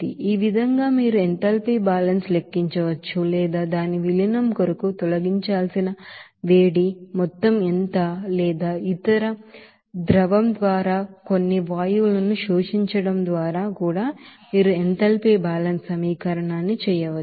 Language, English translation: Telugu, So in this way you can calculate the enthalpy balance or you can do the enthalpy balance equation to calculate that what will be the amount of heat that is to be removed for its dilution or by absorption of even some gases by other liquid also